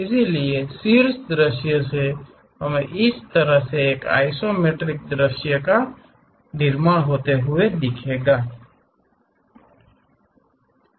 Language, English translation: Hindi, So, from the top view we will construct isometric view in that way